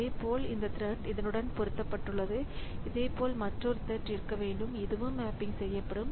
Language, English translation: Tamil, Similarly, this thread is mapped onto this, this thread is mapped on to this, this thread is, similarly there should be another thread onto which this will be mapped